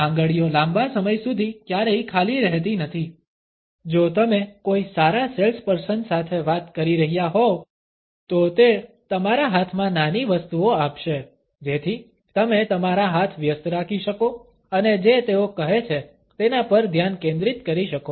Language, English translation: Gujarati, The fingers are never empty for a very long time, if you are talking to a good salesperson, they would pass on petty objects in your hands so that you can occupy your hands and focus on what they are saying